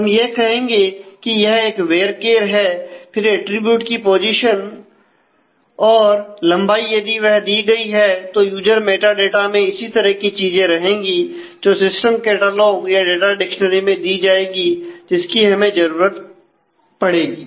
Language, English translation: Hindi, So, we will say this is a varchar; then the position of that attribute, the length if it is given the user metadata all of this are typical things that will go into this system catalogue or the data dictionary that we will require